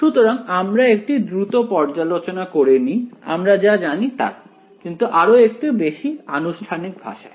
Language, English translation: Bengali, So, let us just do a sort of a brief review of what we already know, but in a little bit more formal language